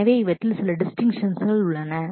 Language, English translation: Tamil, So, these are some of the distinctions that exist